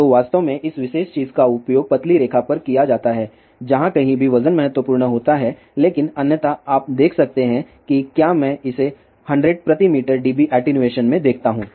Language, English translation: Hindi, So, one actually use this particular thing at 10 line wherever weight is important , butotherwise you can see if I just look at it here attenuation dB per 100 meter